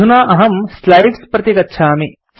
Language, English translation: Sanskrit, Let me go back to the slides now